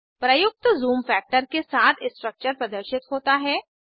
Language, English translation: Hindi, The structure appears with the applied zoom factor